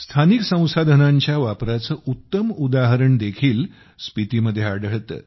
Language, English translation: Marathi, The best example of utilization of local resources is also found in Spiti